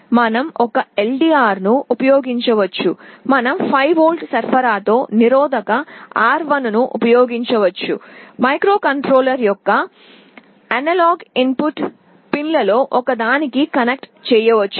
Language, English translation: Telugu, Like we can use an LDR, we can use a resistance R1 with a 5V supply, we can feed it to one of the analog input pins of the microcontroller